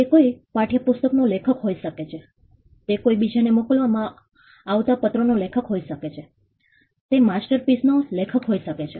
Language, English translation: Gujarati, It could be an author of a textbook, it be an author of an letter being sent to someone else, it could be author of a masterpiece